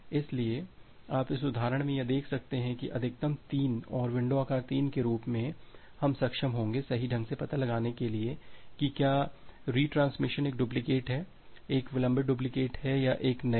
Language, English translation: Hindi, So, you can see here in this example that with maximum sequence as 3 and window size as 3, we will be able to correctly find out that whether retransmission is a duplicate one, is a delayed duplicate or a new one